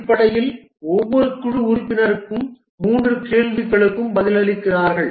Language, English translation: Tamil, Basically, each team member answers three questions